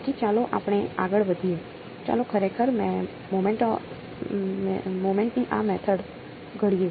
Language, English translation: Gujarati, So, let us go ahead; let us actually formulate this Method of Moments ok